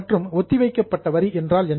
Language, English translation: Tamil, Now, what is a current tax and what is a deferred tax